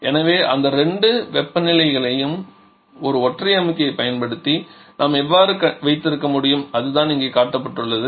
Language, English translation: Tamil, So, how can we have these two temperature levels using a single compressor that is what is shown here